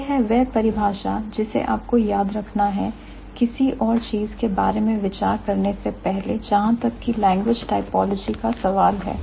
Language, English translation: Hindi, So, that's the definition that you need to, you need to remember before thinking about anything else as far as language typology is concerned